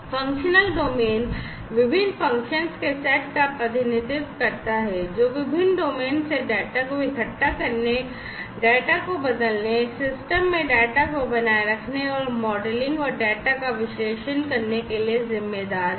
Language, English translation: Hindi, Functional domain represents the set of functions that are responsible for assembling the data from the various domains, transforming the data, persisting the data in the system and modelling and analyzing the data